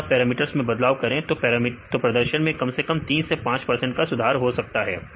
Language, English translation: Hindi, If you fine tune the parameters, you can improve the performance at least 3 to 5 percent